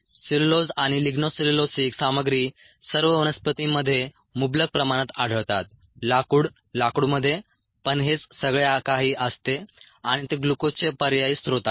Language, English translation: Marathi, cellulose and ligno cellulosic materials are found abundantly, ah in all the plants, wood, wooders, all that, and they are alternative sources of glucose